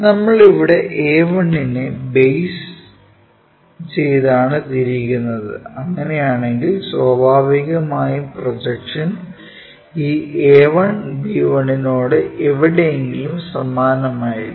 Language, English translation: Malayalam, So, if about a 1 we are rotating it, if that is the case then naturally the projection remains same somewhere about that this a 1, b 1 is rotated